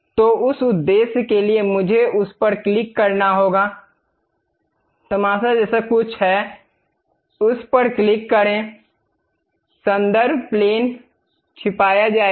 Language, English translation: Hindi, So, for that purpose I have to click that; there is something like a spectacles, click that, reference plane will be hided